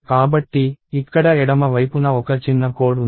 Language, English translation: Telugu, So, there is a small piece of code here on the left side